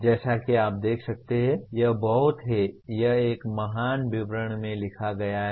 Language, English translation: Hindi, As you can see it is very, it is written in a great detail